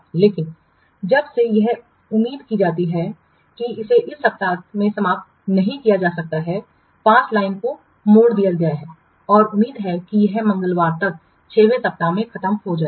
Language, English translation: Hindi, But since it is expected that it cannot be finished in week five, the line has been bended and it is expected that it will be over in sixth week maybe by Tuesday